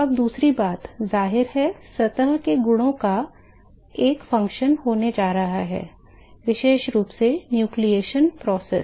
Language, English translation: Hindi, Now the second thing is it is; obviously, going to be a function of the surface properties, particularly the nucleation process